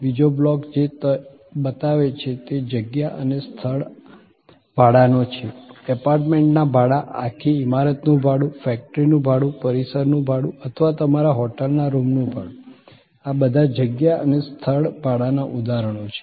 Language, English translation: Gujarati, The second block is defined space and place rentals, very easy to understand renting of an apartment, renting of a whole building, renting of a factory, premises or your, renting of your hotel room, all these are examples of defined space and place rentals